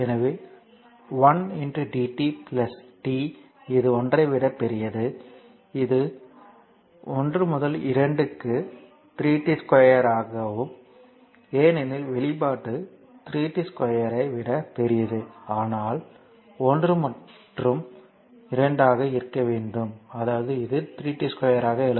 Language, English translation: Tamil, So, one into dt plus that it is greater than one therefore, it is one to 2 3 t square dt because expression is 3 t square it is greater than 1, but you one in between 1 and 2; that means, this 3 t square d dt